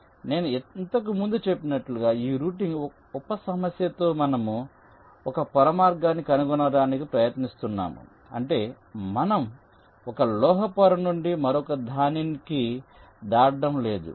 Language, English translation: Telugu, now, in this routing sub problem, as i mentioned earlier, we are trying to find out a single layer path that means we are not crossing from one metal layer to the other